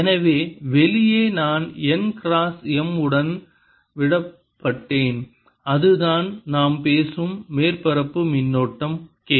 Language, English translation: Tamil, so outside i am going to have n cross m left and that is the surface current that we talk about, which is k